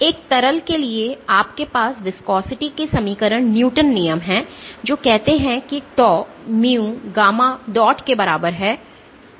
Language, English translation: Hindi, For a liquid you have the equation newtons law of the viscosity which says that tau is equal to mu gamma dot